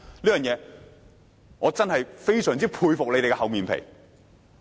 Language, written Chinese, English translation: Cantonese, 就此，我真的非常佩服他們的厚面皮。, In this connection I am really impressed by their shamelessness